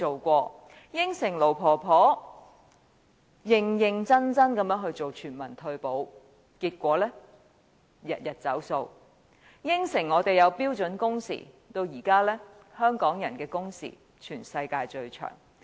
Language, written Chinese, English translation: Cantonese, 他向盧婆婆承諾會認認真真做全民退保，結果天天"走數"；他向我們承諾會推行標準工時，但如今香港人的工時是全世界最長的。, He has promised the old Madam LO that he will implement universal retirement protection seriously but then he has reneged on his promise . Despite his promise that he will implement standard working hours the working hours of the people of Hong Kong are now the longest